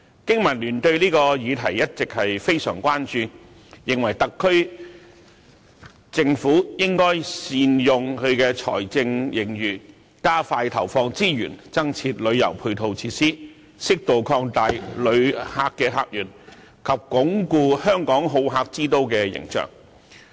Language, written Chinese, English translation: Cantonese, 經民聯對這項議題一直非常關注，認為特區政府應該善用財政盈餘，加快投放資源，增設旅遊配套設施，適度擴大旅客客源及鞏固香港好客之都的形象。, BPA has all along kept a keen interest in this topic and believes that the SAR Government should make good use of the fiscal surplus expedite the allocation of resources for the provision of additional tourism supporting facilities appropriately open up new visitor sources and consolidate Hong Kongs image as a hospitable city